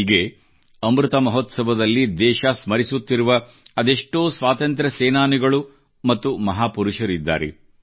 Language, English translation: Kannada, Innumerable such freedom fighters and great men are being remembered by the country during Amrit Mahotsav